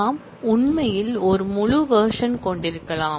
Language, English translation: Tamil, We can actually have a full version as well